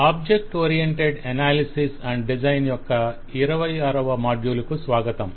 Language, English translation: Telugu, Welcome to module 26 of object oriented analysis and design